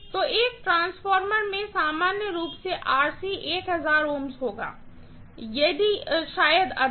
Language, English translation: Hindi, So, Rc normally in a transformer will be like 1000 ohms, maybe more, okay